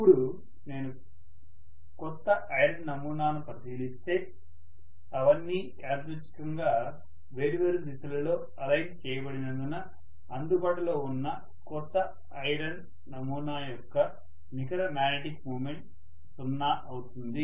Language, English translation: Telugu, Now if I look at a new sample of iron, because all of them are randomly aligned in different directions, the net magnetic moment available is 0 in a new sample of iron